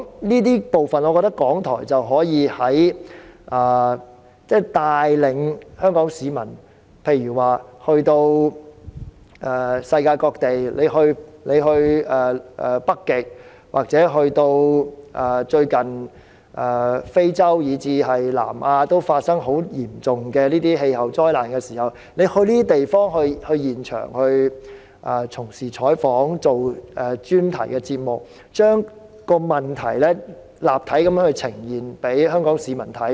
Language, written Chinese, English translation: Cantonese, 這些部分看來，我認為港台可帶領香港市民走到世界各地，如北極、非洲，或是最近發生十分嚴重的氣候災難的南亞，透過前往這些地方現場採訪或製作專題節目，將問題立體地呈現於香港市民面前。, From these perspectives I think RTHK may lead the people of Hong Kong to go global to places like the North Pole Africa or South Asia where very serious climate disasters have occurred recently . By means of interviews on the spot and the production of features the many facets of these problems are presented before the people of Hong Kong vividly